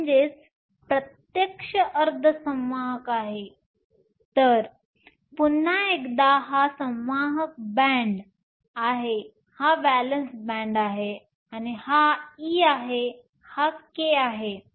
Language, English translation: Marathi, So, once again this is the conduction band, this is the valence band, this is E, this is K